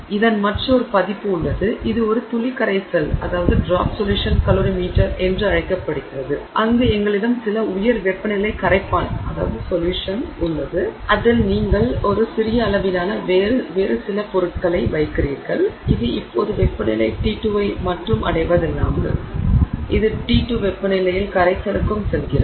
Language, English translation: Tamil, There is another version of this which is called a drop solution calorimeter where we have some high temperature solvent into which we put a tiny quantity of some other material which now not only reaches the temperature T2 it also goes into solution at the temperature T2